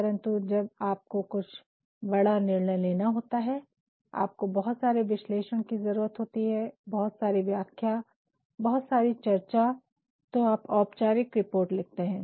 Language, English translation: Hindi, But, when some major decisions are to be taken and you require a lot of analysis, a lot of interpretation, a lot of discussion you go for formal reports